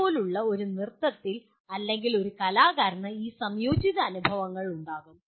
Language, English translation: Malayalam, A dance like that or a performing artist will kind of have these integrated experiences